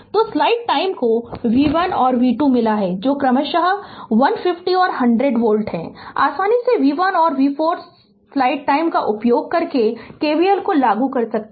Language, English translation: Hindi, So, as you have got v 1 and v 2 that is 150 and 100 volt respectively, we have to we can easily find out v 3 and v 4 right using you can apply KVL also